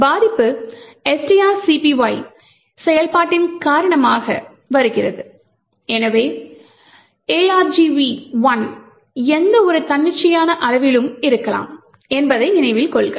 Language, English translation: Tamil, The vulnerability comes due to string copy operation so note that argv 1 could be of any arbitrary size